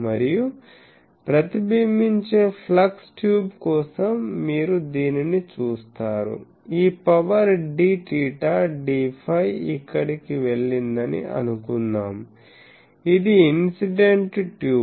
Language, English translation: Telugu, And, for the reflected flux tube you see that so, suppose this d theta d phi this power has gone here, this is that tube incident tube